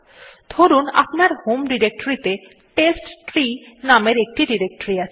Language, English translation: Bengali, So say you have a directory with name testtree in your home directory